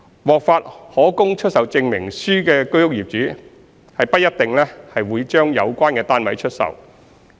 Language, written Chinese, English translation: Cantonese, 獲發可供出售證明書的居屋業主不一定會把有關單位出售。, HOS flat owners who have been issued with CAS may not necessarily put up their flats for sale